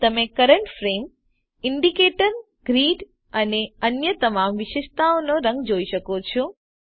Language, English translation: Gujarati, Here you can see the color of the current frame indicator, grid and all other attributes as well